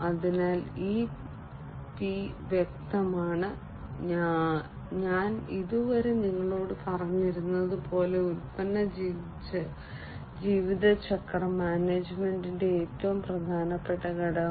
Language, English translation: Malayalam, So, this P is obviously, as I was telling you so far the most important component of product lifecycle management